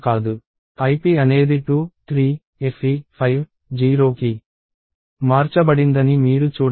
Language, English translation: Telugu, So, you can see that ip changed to 2, 3, fe, 5, 0